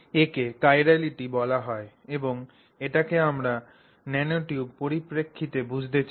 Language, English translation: Bengali, So, this is called chirality and so this is one of the things that we want to understand about the nanotube